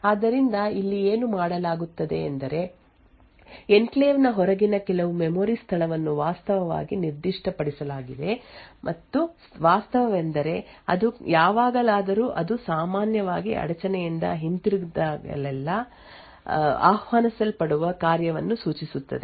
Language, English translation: Kannada, So, what is done here is that some memory location outside the enclave is actually specified and the fact is whenever so it would typically point to a function which gets invoked whenever there is a return from the interrupt